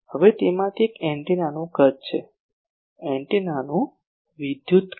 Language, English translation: Gujarati, Now one of that is the size of the antenna: electrical size of the antenna